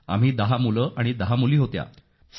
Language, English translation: Marathi, We were 10 boys & 10 girls